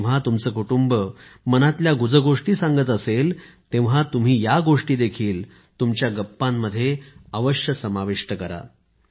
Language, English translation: Marathi, When your family is involved in close conversations, you should also make these a part of your chat